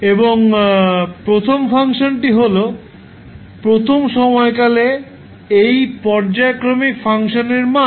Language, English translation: Bengali, And the first function is the, the value of this periodic function at first time period